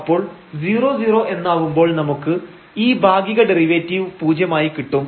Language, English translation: Malayalam, So, this will be 0 and here also this will be 0 so, 0 minus 0 we will get this partial derivative as 0